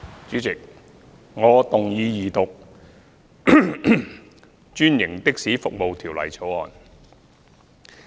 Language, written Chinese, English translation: Cantonese, 主席，我動議二讀《專營的士服務條例草案》。, President I move the Second Reading of the Franchised Taxi Services Bill the Bill